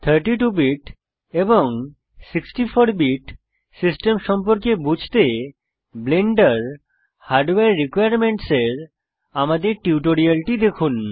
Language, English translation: Bengali, To understand about 32 BIT and 64 BIT systems, see our Tutorial on Blender Hardware Requirements